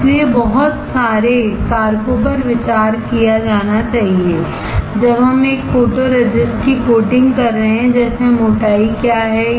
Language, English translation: Hindi, So, there are lot of factors to be considered when we are coating a photoresist like; what is the thickness desired